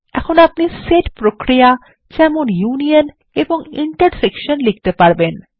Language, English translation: Bengali, Now we can write set operations such as unions and intersections